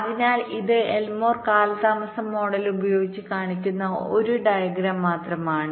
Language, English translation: Malayalam, so this is just a diagram which is shown that using elmore delay model